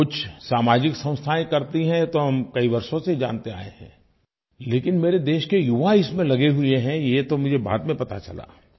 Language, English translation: Hindi, Some social institutions have been involved in this activity for many years was common knowledge, but the youth of my country are engaged in this task, I only came to know later